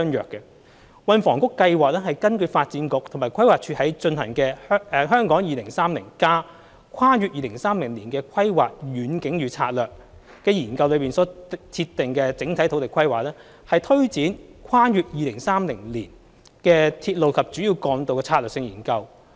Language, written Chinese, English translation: Cantonese, 運輸及房屋局計劃根據發展局和規劃署在進行的《香港 2030+： 跨越2030年的規劃遠景與策略》研究內所設定的整體土地規劃，推展《跨越2030年的鐵路及主要幹道策略性研究》。, The Transport and Housing Bureau plans to take forward the Strategic Studies on Railways and Major Roads beyond 2030 on the conceptual spatial requirements to be firmed up under the Hong Kong 2030 Towards a Planning Vision and Strategy Transcending 2030 which is being conducted by the Development Bureau and the Planning Department